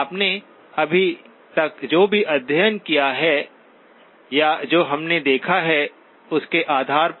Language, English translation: Hindi, Just on the basis of what you have study or what we have seen so far